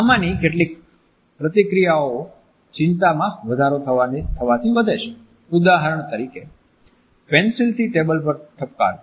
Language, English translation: Gujarati, Some of these movements increase with increase anxiety for example, tapping the disk with a pencil